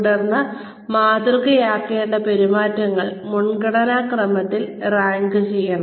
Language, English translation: Malayalam, And then, the behaviors to be modelled, should be ranked, in order of priority